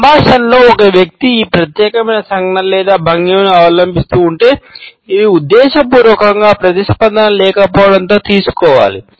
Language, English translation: Telugu, If in dialogue a person continues to adopt this particular gesture or posture then it has to be taken as a deliberate absence of response